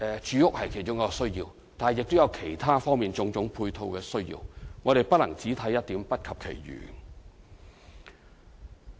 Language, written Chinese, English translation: Cantonese, 住屋是其中一個需要，但亦有其他方面及種種配套的需要，我們不能只看一點，不及其餘。, Housing is one of those needs . But there are other needs and supports to be considered and we cannot look at only one point and ignore the rest